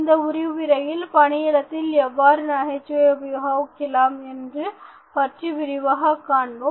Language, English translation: Tamil, In this lesson, let us look at humour in workplace